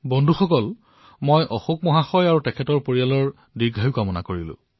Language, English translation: Assamese, Friends, we pray for the long life of Ashok ji and his entire family